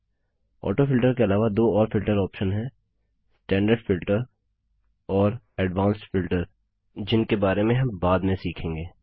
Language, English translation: Hindi, Apart from AutoFilter, there are two more filter options namely Standard Filter and Advanced Filter which we will learn about in the later stages of this series